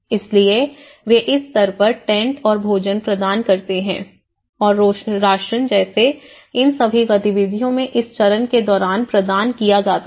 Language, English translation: Hindi, So, they also provided at this stage providing tents and some food, rations all these activities have been provided during this phase